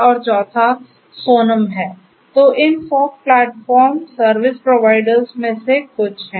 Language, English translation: Hindi, So, these are some of these fog platform service providers